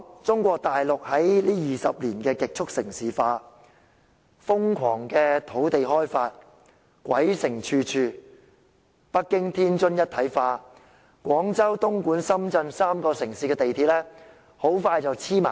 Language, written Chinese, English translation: Cantonese, 中國大陸近20年極速城市化，瘋狂開發土地，導致鬼城處處，北京與天津一體化，廣州、東莞及深圳3個城市的地鐵很快便會全面連接。, Crazy land development has led to the emergence of ghost cities all over the country . In tandem with the integration of Beijing and Tianjin the metro networks of three cities Guangzhou Dongguan and Shenzhen will be fully connected soon